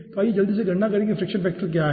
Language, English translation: Hindi, okay, then let us quickly calculate what is the friction factor